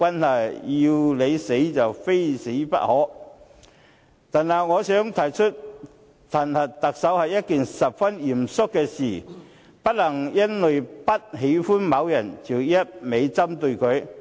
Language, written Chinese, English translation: Cantonese, 另外，我想指出，彈劾特首是一件十分嚴肅的事，不能夠因為不喜歡某人便一味針對他。, Separately I would like to point out that it is a very serious matter to impeach the Chief Executive . They cannot go after a person simply because they do not like him